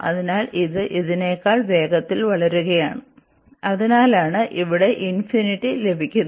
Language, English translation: Malayalam, So, this is taking its growing much faster than this one and that is the reason we are getting infinity there